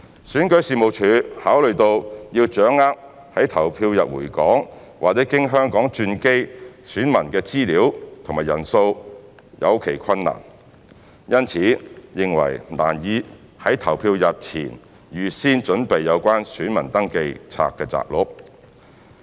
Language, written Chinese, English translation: Cantonese, 選舉事務處考慮到要掌握在投票日回港或經香港轉機的選民的資料及人數有其困難。因此認為難以在投票日前預先準備有關選民登記冊摘錄。, Taking into account that there are difficulties in ascertaining the information and number of electors who will return to Hong Kong or transit via Hong Kong on the polling day the Registration and Electoral Office considers that it will be difficult to prepare the said extract of Register of Electors prior to the polling day